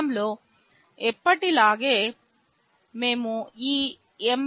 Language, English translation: Telugu, In the program, as usual we have included this mbed